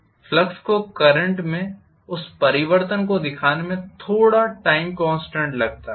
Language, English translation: Hindi, And it takes a little while for the flux to show up that change in the current